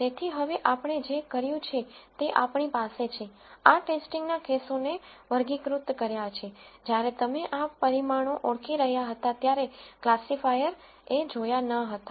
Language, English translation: Gujarati, So, now, what we have done is we have classified these test cases, which the classifier did not see while you were identifying these parameters